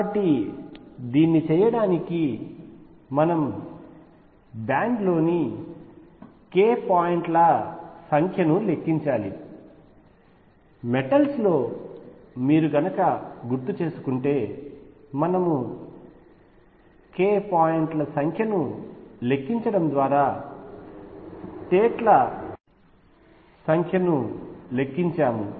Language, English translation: Telugu, So, to do this we need to count the number of k points in a band, just like recall in metals we counted number of states by counting the number of k points